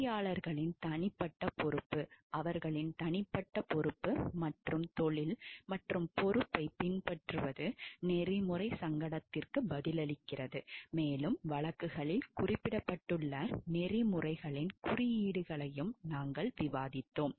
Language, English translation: Tamil, It is a individuals responsibility of the engineers to follow their individual responsibility and professional responsibility while answering for ethical dilemma and we have also discussed about the codes of ethics as mentioned in the cases